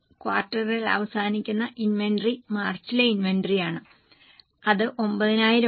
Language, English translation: Malayalam, For the quarter the ending inventory is the March inventory that is 9,000